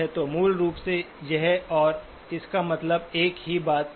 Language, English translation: Hindi, So basically this and this means the same thing